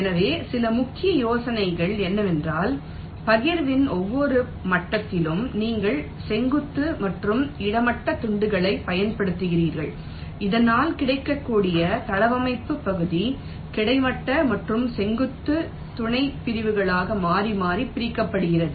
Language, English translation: Tamil, ok, so some of the salient ideas is that at every level of partitioning so you use vertical and horizontal slices so that the available layout area is partitioned into horizontal and vertical subsections alternately